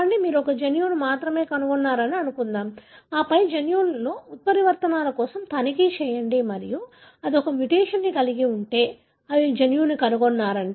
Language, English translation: Telugu, Say, suppose you found only one gene, then go about checking for mutations in the gene and if that is having a mutation, then you have found the gene